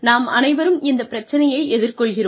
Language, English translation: Tamil, All of us face this problem